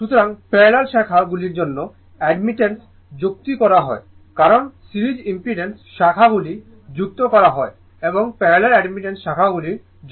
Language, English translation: Bengali, So, admittance are added for parallel branches, for branches in series impedance are added and for branches in parallel right admittance are added right